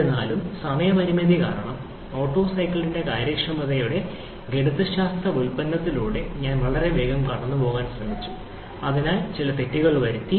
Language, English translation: Malayalam, However, because of the time constraint, I was trying to go through very quickly through the mathematical derivation of the efficiency of Otto cycle for which I made some mistake